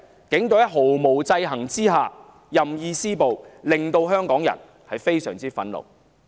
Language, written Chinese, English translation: Cantonese, 警隊在毫無制衡之下任意施暴，令香港人非常憤怒。, It is infuriating to Hongkongers that the Police Force can inflict violence arbitrarily without checks